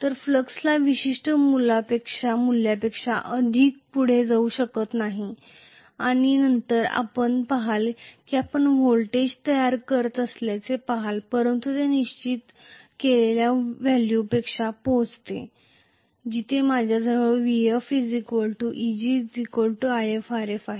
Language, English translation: Marathi, So, the flux cannot go beyond the particular value and then you will see that basically you are going to see the voltage is building up but it reaches some value which is dictated by, where I am going to have vf equal to Eg equal to If Rf, this is I f this is Eg